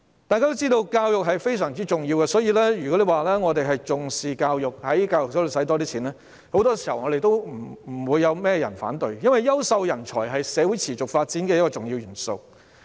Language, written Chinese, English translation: Cantonese, 大家都知道教育非常重要，我們重視教育，如果在教育方面多花公帑，多數不會有人反對，因為優秀人才是社會持續發展的重要元素。, We attach great importance to education . If more public funds are spent on education it is likely that no one will oppose it because quality talents are a crucial element for the sustainable development of society . A mature democratic society needs high quality civic education